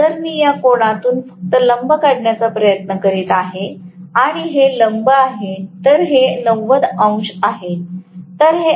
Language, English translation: Marathi, Now, if I try to just draw perpendicular bisecting this angle and this is the perpendicular, this is 90 degrees, right